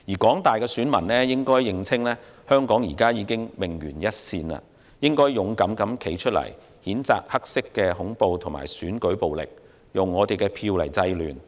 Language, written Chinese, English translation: Cantonese, 廣大選民應認清香港現已命懸一線，要勇敢地站出來，譴責黑色恐怖和選舉暴力，以票制亂。, The voting public should realize that the fate of Hong Kong is hung in the balance they must come forward bravely to condemn black terror and election violence and use their votes to curb disorder